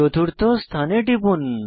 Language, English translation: Bengali, Click on the fourth position